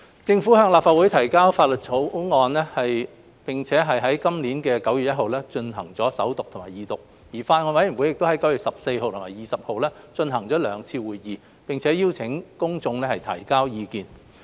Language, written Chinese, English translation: Cantonese, 政府向立法會提交《條例草案》，並於今年9月1日進行首讀及二讀。而法案委員會在9月14日及20日舉行了兩次會議，並邀請公眾提交意見。, The Bill was introduced into the Legislative Council for First Reading and Second Reading on 1 September this year and two meetings of the Bills Committee were held on 14 and 20 September while public opinions were invited